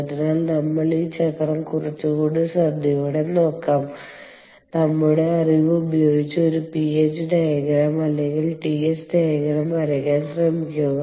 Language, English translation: Malayalam, so lets look at this cycle a little more carefully and, using our knowledge, try to draw a ph diagram or a ts diagram